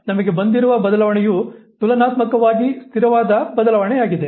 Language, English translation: Kannada, So, the change that has come to us, it is a relatively stable change